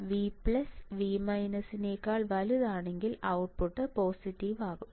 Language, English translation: Malayalam, So, if V plus is greater than V minus output goes positive it is correct right